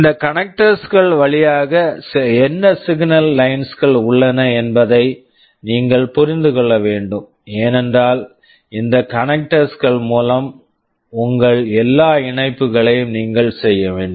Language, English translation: Tamil, You must understand what signal lines are available over these connectors, because you will have to make all your connections through these connectors